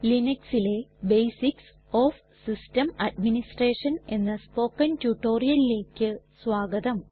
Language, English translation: Malayalam, Hello and welcome to the Spoken Tutorial on Basics of System Administration in Linux